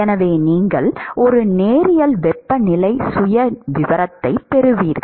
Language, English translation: Tamil, So, you will have a linear temperature profile